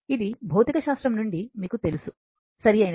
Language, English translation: Telugu, This is from your physics you know right